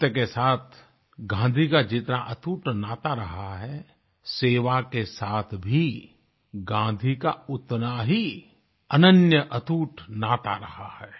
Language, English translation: Hindi, Gandhiji shared an unbreakable bond with truth; he shared a similar unique bond with the spirit of service